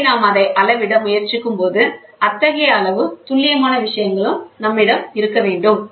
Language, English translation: Tamil, So, when we try to measure it we should have such amount of precision things